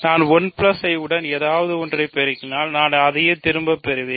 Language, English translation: Tamil, So, you multiply something with 1 plus I you get that back